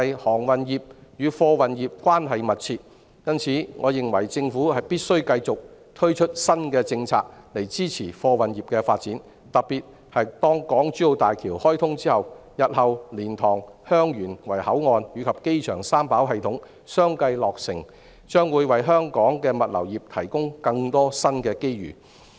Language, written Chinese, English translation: Cantonese, 航運業與貨運業關係密切，因此，我認為政府必須繼續推出新的政策，以支持貨運業的發展，特別是當港珠澳大橋開通、日後蓮塘/香園圍口岸及機場三跑系統相繼落成後，將會為香港的物流業提供更多新機遇。, For this reason I consider that the Government must continue to introduce new policies to support the development of the freight industry . In particular after the commissioning of the Hong Kong - Zhuhai - Macao Bridge HZMB and the completion of the LiantangHeung Yuen Wai Boundary Control Point and the three - runway system of the airport one after another more new opportunities will be presented to the logistics industries of Hong Kong